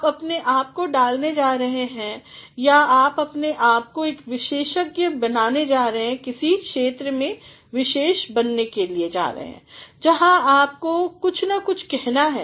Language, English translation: Hindi, You are going to put yourself or you are going to make yourself an expert or specialize in some area, where you have to say something or the other